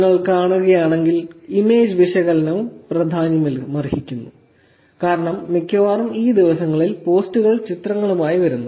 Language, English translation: Malayalam, Mostly if you all see, image analysis is also becoming an important one because mostly these days the posts are coming with images